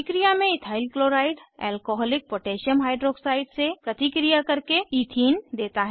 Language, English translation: Hindi, In the reactions Ethyl chloride reacts with Alcoholic potassium Hyroxide to give Ethene